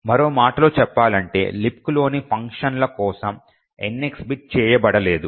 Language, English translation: Telugu, In other words, the NX bit is not set for the functions in LibC